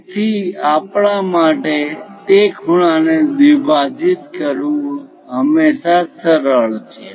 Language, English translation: Gujarati, So, it is always easy for us to bisect that angle